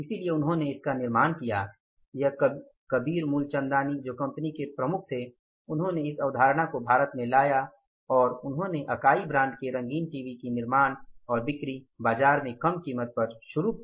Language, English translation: Hindi, So, he manufactured, is Kabir Mool Chandani who was the, say, head of that company, he brought that concept to India and he started manufacturing and selling those, say, Akai brand colour TVs in the market and at a very say you can call it is a lesser price